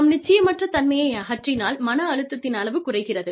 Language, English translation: Tamil, If i remove the uncertainty, the amount of stress, goes down